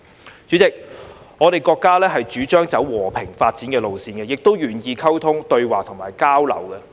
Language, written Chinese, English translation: Cantonese, 代理主席，我國主張走和平發展的路線，亦都願意溝通、對話及交流。, Deputy President our country advocates a peaceful course of development and is willing to communicate dialogue and exchange